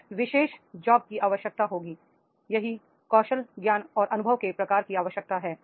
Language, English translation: Hindi, This particular job will be requiring that is what type of the skills, knowledge and experience is required